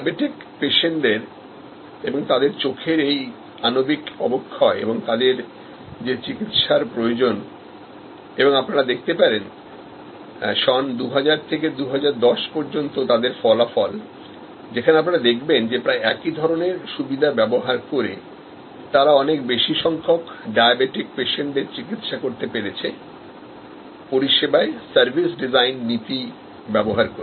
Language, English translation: Bengali, The macular degeneration of diabetic patients and their eyes and the treatments they need and you can see here the result of their 2000 to 2010 and you can see the number of diabetics treated with almost the same facility have gone up very, very significantly using the service design principles